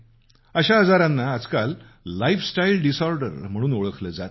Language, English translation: Marathi, Today these diseases are known as 'lifestyle disorders